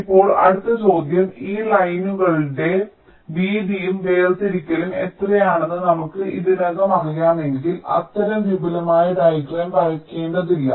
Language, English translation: Malayalam, now the next question is: if we already know how much should be the width and the separation of these lines, then we need not require to draw such elaborate diagram